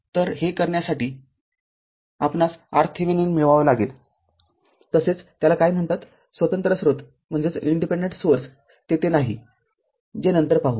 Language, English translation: Marathi, So, to do this right you have to obtain R Thevenin as well as what you call that are there is no independent source that will see later right